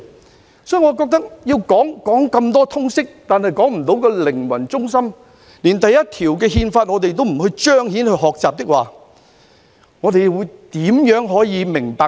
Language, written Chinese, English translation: Cantonese, 我認為教授那麼多通識，但卻說不出靈魂，連《憲法》第一條也不加以彰顯和學習，我們又如何可以明理？, In my opinion if the teaching of LS has failed to get to the soul of the matter by highlighting the importance and learning of Article 1 of the Constitution how can we become sensible people?